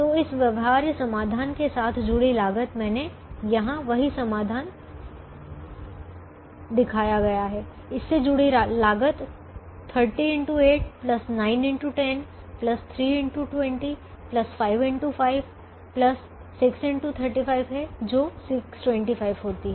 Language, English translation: Hindi, so the cost associated with this feasible solution i have shown the same solution here the cost associated is thirty into eight, plus nine, into ten, plus three, into twenty plus five, into five, plus six, into thirty five, which happens to be six hundred and twenty five